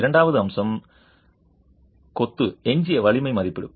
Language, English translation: Tamil, The second aspect is coming and estimating the residual strength of masonry